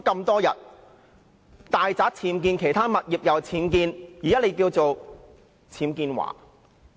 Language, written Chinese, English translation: Cantonese, 大宅和其他物業均有僭建物，現在你被稱為"僭建驊"......, You have unauthorized building works UBWs in your residence as well as in your other properties . You are now nicknamed Teresa UBWs